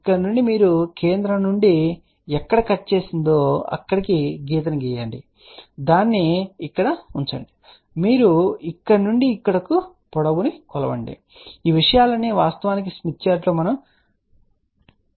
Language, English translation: Telugu, From here you draw the line up to this here wherever it is cutting from the center, you put it over here and then you can measure the length from here to here all these things are actually mentioned on the smith chart